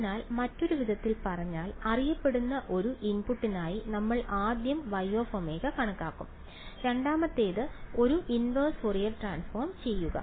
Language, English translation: Malayalam, So, in other words so, we will do first is we will calculate Y of omega for a known input X of omega and second is do a inverse Fourier transform right